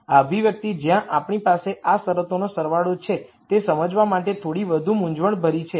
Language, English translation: Gujarati, This expression where we have the sum of these terms is slightly more complicated to understand